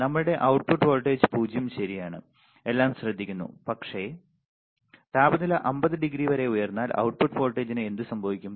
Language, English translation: Malayalam, So, our output voltage is 0 right everything is taken care of, but what happens through the output voltage if the temperature rises to 50 degree almost double to this right